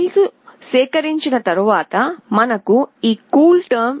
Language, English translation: Telugu, After extracting the file we shall get this CoolTerm